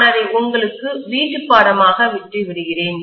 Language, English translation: Tamil, That I am leaving it as homework for you guys